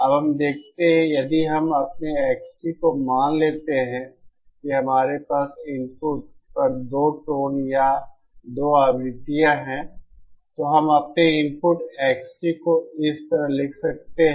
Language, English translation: Hindi, Now let us see, if we suppose our X t, since now we have 2 tones or 2 frequencies at the input, we can write our input X t like this